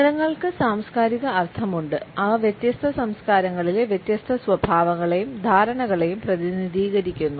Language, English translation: Malayalam, Colors also have cultural meanings and they represent different traits and perceptions in different cultures